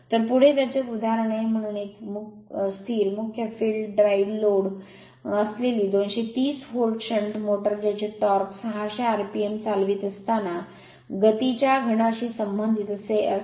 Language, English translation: Marathi, So, next is one example, so a 230 volt shunt motor with a constant main field drives load whose torque is proportional to the cube of the speed the when running at 600 rpm